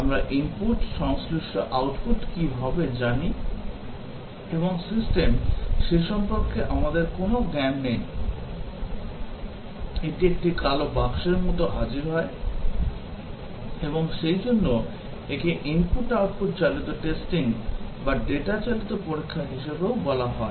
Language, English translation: Bengali, We know what will be the input, corresponding output and system; we do not have any knowledge about that; appears like a black box to it; and therefore, it is also called as input output driven testing or data driven testing